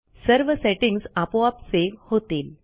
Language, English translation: Marathi, Our settings will be saved automatically